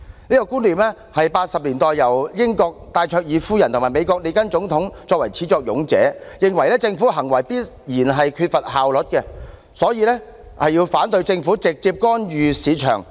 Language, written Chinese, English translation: Cantonese, 這個觀念始自1980年代，英國戴卓爾夫人和美國總統列根是始作俑者，認為政府行為必然缺乏效率，故此反對政府直接干預市場。, This idea can be traced back to the 1980s and Margaret THATCHER of the United Kingdom and Ronald REAGAN the President of United States were the propagators . They believed that government actions always lack efficiency so they opposed direct government intervention in the market